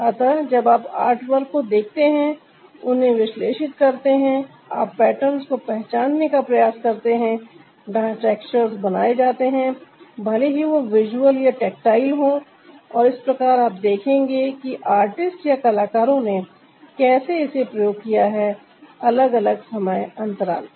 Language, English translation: Hindi, when you look at the artwork, analyze them, you try to recognize the patterns where ah the textures are created, whether they are visual or tactile, and that way you will see how the artists have used it from different period of time